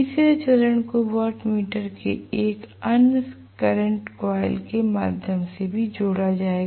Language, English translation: Hindi, The third phase will also be connected through another current coil of the watt meter